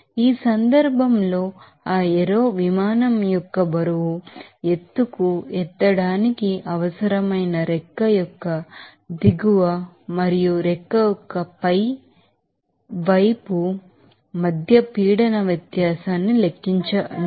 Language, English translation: Telugu, In this case, calculate the pressure difference between the underside of the wing and the top side of the wing that is necessary to lift that weight of that aero plane to a height